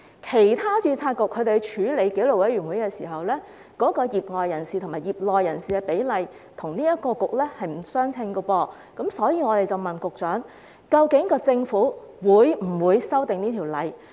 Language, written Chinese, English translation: Cantonese, 其他註冊局處理紀律委員會的時候，業外人士與業內人士的比例與這個註冊局並不相稱，所以我們才問局長究竟政府會否修訂《條例》。, As for the ratio of lay members to members in the sector the ratio of other registration boards does not align with that of the Board when it comes to disciplinary committees and that is why we ask the Secretary whether the Government will amend the Ordinance